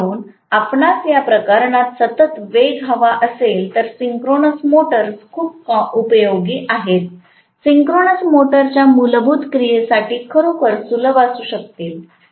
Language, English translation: Marathi, So, if you want the constant speed in those cases synchronous motors come in really, really handy, right, so much so, for the basic action of the synchronous motor right